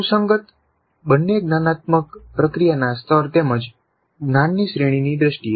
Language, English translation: Gujarati, Consistent both in terms of the level of cognitive process as well as the category of the knowledge